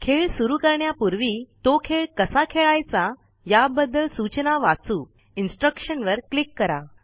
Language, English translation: Marathi, Before starting the game, let us read the instructions on how to play it.Click Instructions